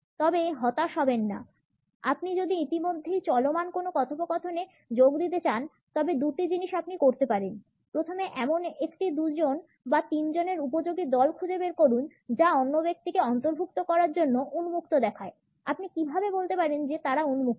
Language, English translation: Bengali, But do not despair; if you want to join a conversation already in progress there are two things you can do; first find a twosome or threesome that looks open to including another person, how can you tell they are open